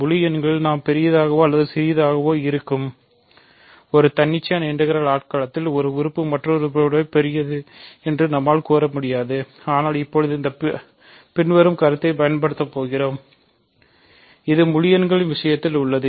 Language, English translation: Tamil, In integers we have the notion of being big or small, in an arbitrary integral domain there is no order we cannot say one element is bigger than another element, but we are now going to use this following notion which also holds in the case of integers